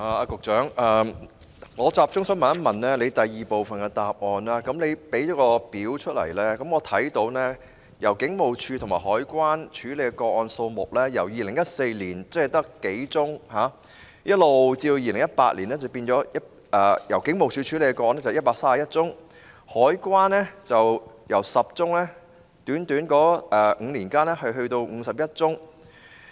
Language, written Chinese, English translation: Cantonese, 局長在主體答覆第二部分的列表，提供了警務處和海關調查的個案數目，在短短5年間，警務處調查的個案由2014年的數宗上升至2018年的131宗，而海關調查的個案則由10宗上升至51宗。, The Secretary lists in the table of part 2 of his main reply the number of cases investigated by HKPF and CED . Within the short span of five years the number of cases investigated by HKPF increased from a few cases in 2014 to 131 cases in 2018 while those investigated by CED increased from 10 cases to 51 cases